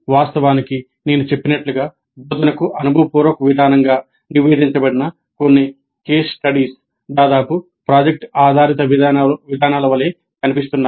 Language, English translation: Telugu, When you see some of the case studies reported as experiential approach to instruction, they almost look like product based approaches